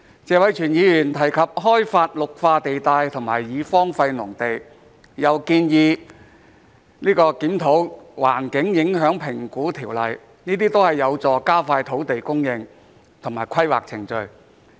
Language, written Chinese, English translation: Cantonese, 謝偉銓議員提及開發綠化地帶和已荒廢農地，又建議檢討《環境影響評估條例》，這些都是有助加快土地供應和規劃程序。, Mr Tony TSE has mentioned the development of green belt areas and deserted agricultural land and proposed reviewing the Environmental Impact Assessment Ordinance . These are all conducive to expediting land supply and the planning procedures